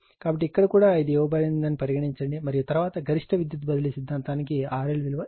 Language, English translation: Telugu, So, here also suppose this is given and then what will be your value of R L for the maximum power transfer theorem right